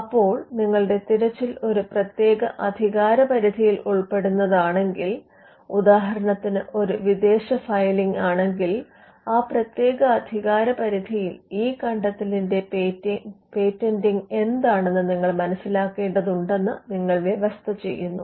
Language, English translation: Malayalam, So, or if your search is particularly to enter a particular jurisdiction; say, a foreign filing then you would stipulate that you need to understand what is the patenting on this invention in a particular jurisdiction